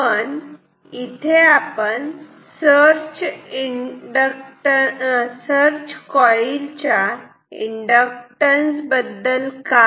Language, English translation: Marathi, But what about the inductance of the search coil